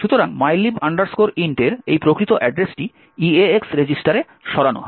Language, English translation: Bengali, So, this actual address of mylib int is move into the EAX register